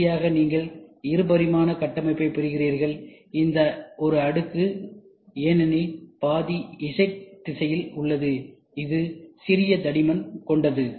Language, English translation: Tamil, And finally, what you get yes two and a half D structure, which is a layer because the half is in Z direction which is of a smaller thickness